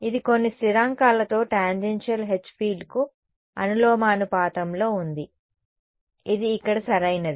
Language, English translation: Telugu, It was proportional to the tangential H tangential H field with some constants it was constants over here right correct